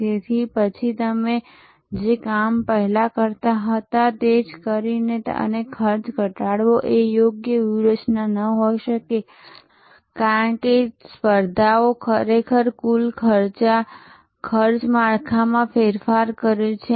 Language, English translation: Gujarati, So, then just by doing the same thing that you have being doing earlier and reducing cost may not be the right strategy, because the competition has actually change the total cost structure